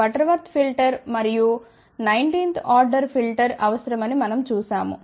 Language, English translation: Telugu, We saw that a Butterworth filter would require and 19th order filter